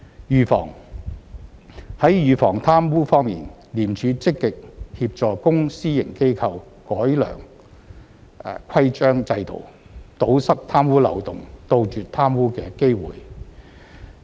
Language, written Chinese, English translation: Cantonese, 預防在預防貪污方面，廉署積極協助公私營機構改良規章制度，堵塞貪污漏洞，杜絕貪污的機會。, Prevention As regards corruption prevention ICAC actively assists public and private organizations to improve their rules and systems plug corruption loopholes and eliminate opportunities for corruption